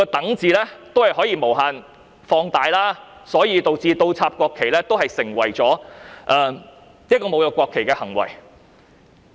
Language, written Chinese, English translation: Cantonese, 當然，原來"等"字可以無限放大，所以倒插國旗都成為侮辱國旗的行為。, can be stretched indefinitely and thus inverting the national flag could be an act of insulting it